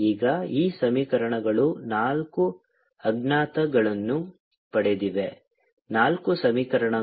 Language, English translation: Kannada, now this, the, this equation of four, unknowns four equation